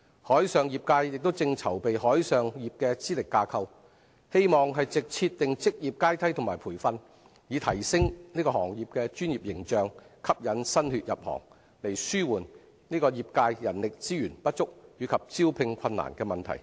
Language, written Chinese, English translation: Cantonese, 海上業界正籌備海上業資歷架構，希望藉設定職業階梯及培訓，提升行業的專業形象，吸引新血入行，以紓緩業界人力資源不足及招聘困難的問題。, The maritime industry is preparing for a qualification framework for the offshore industry . By setting up a professional ladder and through training the sector hopes to enhance its professional image and attract new blood to alleviate the problem of insufficient human resources and recruitment difficulties